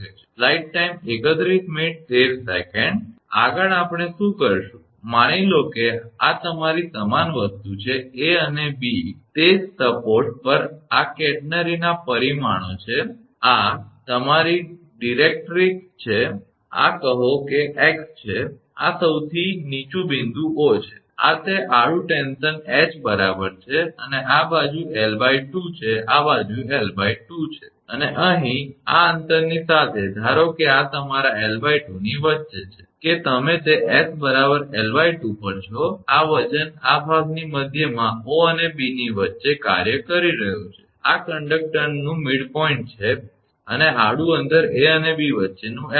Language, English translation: Gujarati, Next what we will do, suppose this is your same thing A and B at the same support right this is parameters of catenary this is your directrix this is say x, and this is the lowest point O this is that horizontal tension H right and this side is l by 2 this side is l by 2, and here that along this along this distance suppose say this this is your between l by 2, that you’re at s is equal to l by 2 this weight is acting in the middle of this portion right between O and B, this is the midpoint of the conductor and your horizontal distance between A and B is L